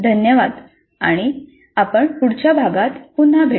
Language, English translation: Marathi, Thank you and we'll meet again with the next unit